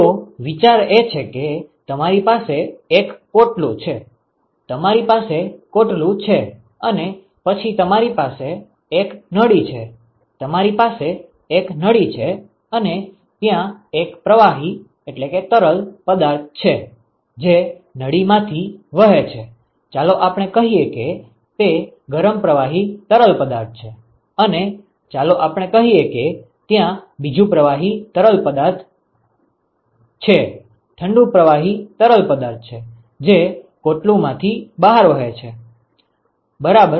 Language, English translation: Gujarati, So, the idea is you have a shell, you have a shell and then you have a tube you have a tube and there is one fluid which is flowing through the tube, let us say it is the hot fluid and let us say that there is another fluid which is let us say cold fluid, which is flowing through the shell ok